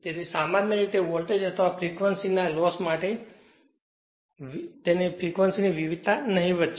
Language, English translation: Gujarati, So, generally variation of voltage or frequency is negligible